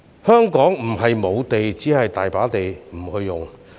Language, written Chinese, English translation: Cantonese, 香港並非沒有土地，只是有地不用。, There is no lack of land in Hong Kong but we fail to make full use of the land available